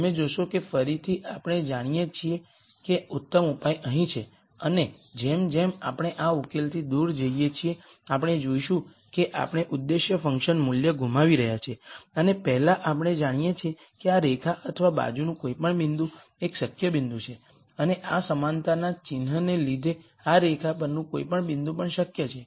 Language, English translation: Gujarati, You will notice that again we know the best solution is here and as we move away from this solution, we will see that we are losing out on the objective function value and as before we know any point on this line or to the side is a feasible point and any point on this line is also feasible because of this equality sign